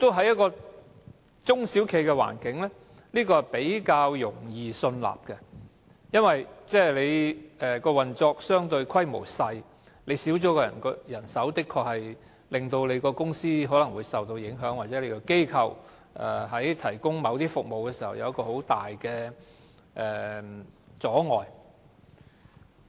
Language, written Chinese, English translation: Cantonese, 就中小企的環境來說，這是較易信納的。由於運作規模相對較小，缺少了一名員工的確可能會令公司受到影響，又或是在提供服務時構成重大阻礙。, It is easier for SMEs to prove this point to the satisfaction of the court as the scale of operation is relatively smaller and having one employee less may have real impacts on the company or may constitute a major obstacle to the provision of services